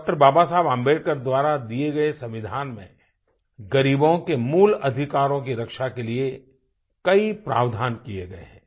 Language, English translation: Hindi, Baba Saheb Ambedkar, many provisions were inserted to protect the fundamental rights of the poor